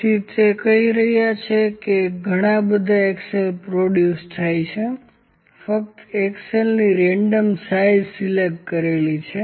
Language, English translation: Gujarati, So, what they are telling that number of axles are produced it just pick the random size of axles